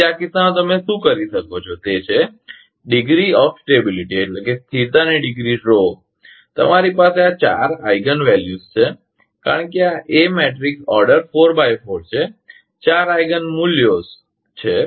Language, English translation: Gujarati, So, in this case what you can do is the degree of stability row you have four Eigen values, because this a matrix order is four into 4 the 4 Eigen values are there